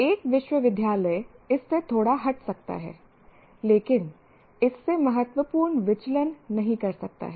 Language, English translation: Hindi, A university may slightly deviate from that but cannot deviate significantly from this